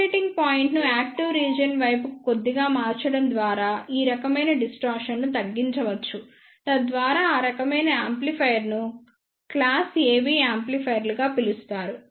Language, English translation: Telugu, This type of distortion can be reduced by shifting the operating point slightly towards the active region so that type of amplifier are known as the class AB amplifiers